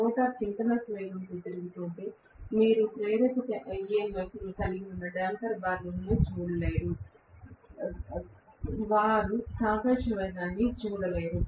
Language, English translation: Telugu, If the rotor is rotating at synchronous speed, you are not going to see the damper having any induced EMF at all; they are not going to see any relative velocity